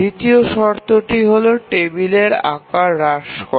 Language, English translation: Bengali, The second condition is minimization of the table size